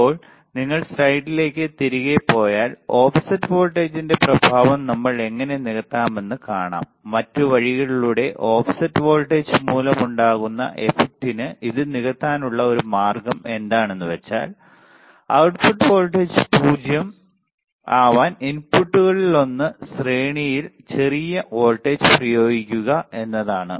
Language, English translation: Malayalam, Now, if you go back to the slide what we see that how we can compensate the effect of offset voltage, to do that other way one way to compensate this for the effect due to the offset voltage is by applying small voltage in series by applying small voltages in series with one of the inputs to force the output voltage to become 0 right